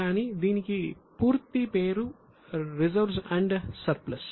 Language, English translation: Telugu, So, but the full name for it is reserves and surplus